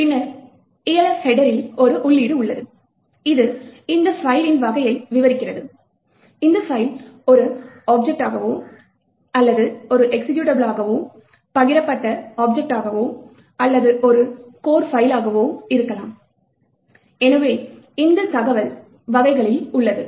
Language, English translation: Tamil, Then, there is an entry in the Elf header which describes the type of this particular file, whether the file is an object, or an executable a shared object or a core file, so this information is present in type